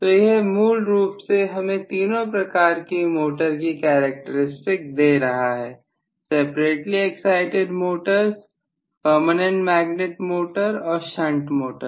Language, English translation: Hindi, So this gives me basically the characteristics for all three types of motors that is separately excited motors, PM motors as well as shunt motor